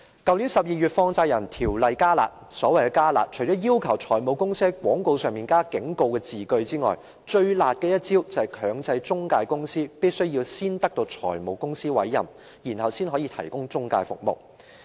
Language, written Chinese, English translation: Cantonese, 去年12月，《放債人條例》"加辣"，所謂的"加辣"，除了要求財務公司在廣告上添加警告字句外，最辣的一招是強制中介公司必須先取得財務公司的委任，才可提供中介服務。, In December last year the Money Lenders Ordinance was made harsher . The so - called harsher measures include requiring finance companies to add a warning statement in all advertisements and the harshest measure is requiring intermediary companies to obtain appointment from finance companies before providing intermediary services